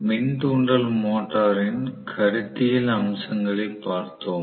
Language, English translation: Tamil, We basically looked at the conceptual features of the induction motor